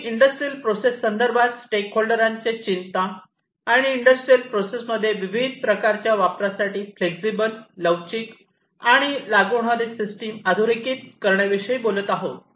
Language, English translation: Marathi, So, basically we are talking about highlighting the stakeholders concerns regarding the industrial processes, and flexible and applicable system for use of various types in the industrial processes